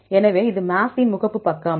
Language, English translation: Tamil, So, this is the home page for MAFFT right